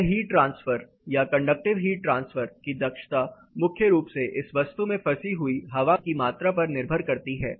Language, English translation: Hindi, This particular heat transfer is the efficiency of conductive heat transfer is primarily dependent on the amount of air trapped into this particular material